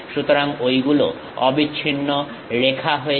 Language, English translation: Bengali, So, those becomes continuous lines